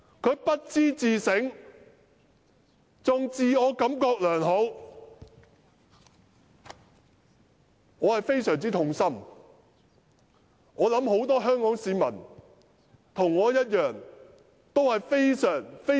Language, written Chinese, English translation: Cantonese, 他不但未有自省，還自我感覺良好，令我非常痛心，我相信不少市民也像我一般的痛心。, After all these had happened he still sits on his own laurel instead of engaging in self - introspection . This is most excruciating to me and I am sure that many members of the public do share my such feeling